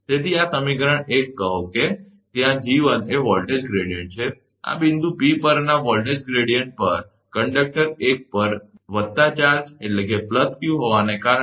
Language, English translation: Gujarati, So, this is equation one say where G1 is voltage gradient, at this point voltage gradient at point P, due to charge plus q on conductor one right